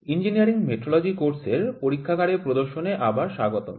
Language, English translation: Bengali, Welcome back to the laboratory demonstration session of the course Engineering Metrology